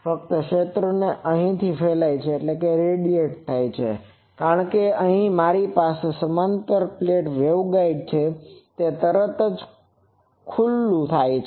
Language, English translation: Gujarati, Only the fields radiate at these because here I have a that parallel plate waveguide suddenly has an opening